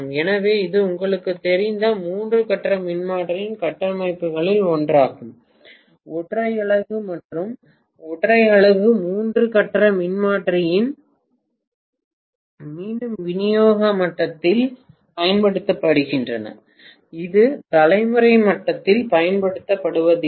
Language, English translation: Tamil, So, this is one of the structures of a three phase transformer you know which is operating as a single unit and the single unit three phase transformers are again used probably at distribution level, hardly ever it is used in generation level